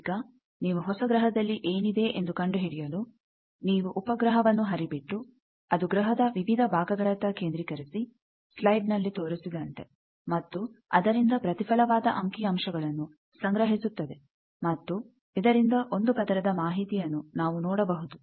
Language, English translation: Kannada, Now, if you want to find out what is there in a new planet, you see that you flow the satellite like the slide is doing that it is focussing on various parts of the planet and then it is gathering the reflected data and from that you see that there is a slice that one layer information